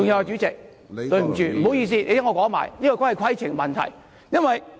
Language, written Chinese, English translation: Cantonese, 主席，請你聽我把話說完，這也是規程問題。, President please listen to me until I am finished . This is also a point of order